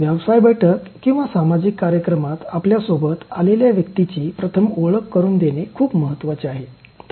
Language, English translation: Marathi, In a business meeting or social gathering, introducing first the person who accompanies you is very important